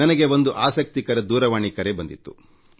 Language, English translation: Kannada, I have received a very interesting phone call